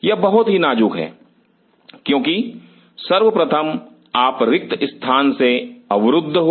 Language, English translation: Hindi, This is very critical because first of all you are constrained by space